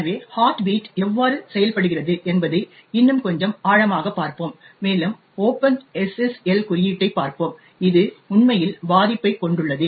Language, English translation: Tamil, deeper into how the heartbeat actually works and we will look at the open SSL code which actually have the vulnerability